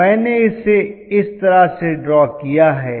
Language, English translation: Hindi, So what I am going to do is something like this